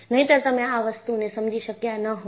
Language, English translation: Gujarati, Otherwise, you would not have understood this